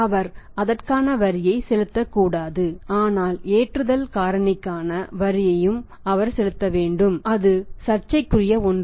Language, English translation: Tamil, He should not be supposed to pay the tax on that but he is supposed to pay the tax attacks on the loading factor also so that is a bone of contention